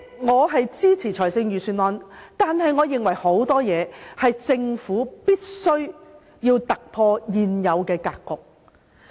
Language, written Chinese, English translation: Cantonese, 我支持預算案，但我認為有很多事情政府必須突破現有的格局。, I support the Budget but I think the Government must think out of the box